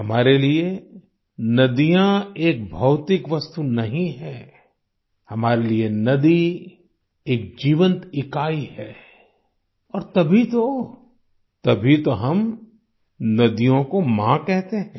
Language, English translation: Hindi, For us, rivers are not mere physical entities; for us a river is a living unit…and that is exactly why we refer to rivers as Mother